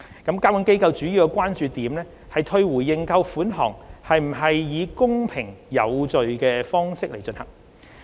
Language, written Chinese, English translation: Cantonese, 監管機構主要關注退回認購款項是否以公平有序的方式進行。, The main concern of the regulatory authorities is on whether the refund of subscription money is conducted in a fair and orderly manner